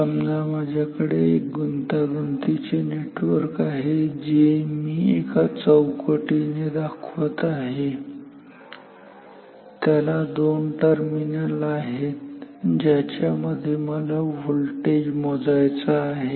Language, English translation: Marathi, Suppose, I have a complicated network which I am trying like a box and it has two terminals between which I want to measure